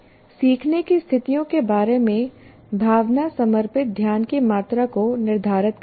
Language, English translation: Hindi, So how a person feels about learning situation determines the amount of attention devoted to it